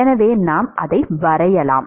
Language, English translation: Tamil, So, we can sketch it